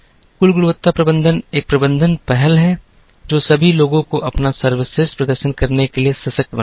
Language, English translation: Hindi, Total quality management is a management initiative to empower all people working to do their best